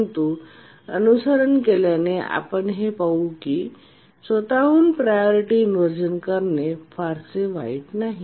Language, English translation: Marathi, But as we will see now that priority inversion by itself is not too bad